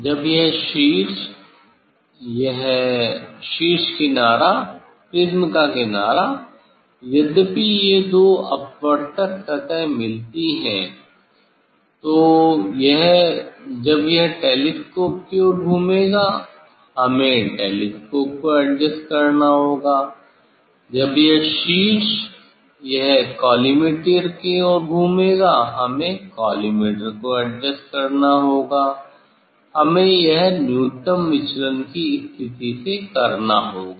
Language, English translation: Hindi, When this apex this edge apex edge of the prism however, these two refracting surface met, so this when it will rotate towards the telescope, we have to adjust the telescope, when this apex it will rotate towards the collimator we have to adjust collimator, this we have to do from the position of the minimum deviation